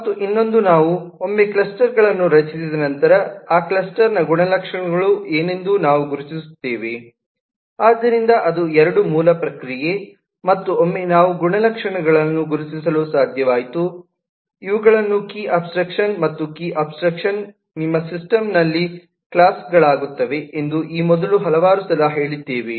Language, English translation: Kannada, so that is the two basic process and once we have been able to identify the characteristics, we say that these are the key abstractions and, as we had mentioned several times before, key abstractions becomes classes in your system